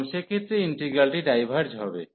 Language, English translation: Bengali, And in this case, the integrand is bounded